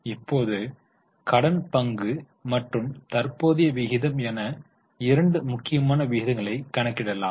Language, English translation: Tamil, Now let us calculate two important ratios that is debt equity and current ratio